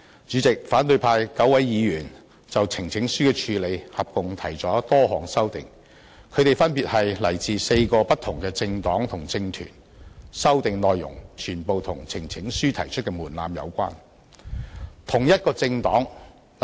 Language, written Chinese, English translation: Cantonese, 主席，反對派9位議員就呈請書的交付處理合共提出多項修訂，他們分別來自4個不同的政黨和政團，修訂內容全部與提交呈請書的門檻有關。, President nine opposition Members have proposed many amendments on the referral of a petition . These Members belong to four different political parties and groupings and all their proposed amendments are related to the threshold for presenting a petition